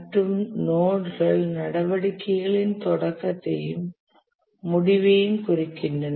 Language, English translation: Tamil, And nodes indicate the beginning and end of activities